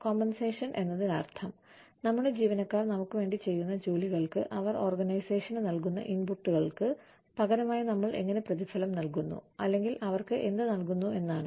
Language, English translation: Malayalam, Compensation means, how we reward, or, what we give to our employees, in turn for, what ought in return for the work, that they do for us, in return for the inputs, that they provide to the organization